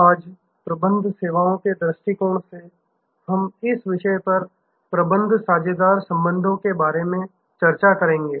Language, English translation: Hindi, Today, from the Managing Services perspective, we will be discussing this topic about Managing Partner Relationships